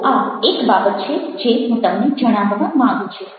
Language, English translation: Gujarati, so this is one of the things i wanted to share with you